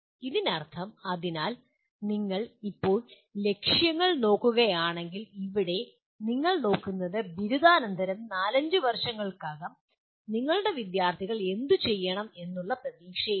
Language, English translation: Malayalam, So that means you are now looking at objectives here would mainly you are looking at what you expect your students to be doing broadly four to five years after graduation